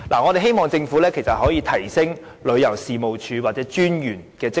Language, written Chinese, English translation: Cantonese, 我們希望政府可以提升旅遊事務署或有關專員的職能。, We hope the Government will enhance the functions of the Tourism Commission TC or the Commissioner concerned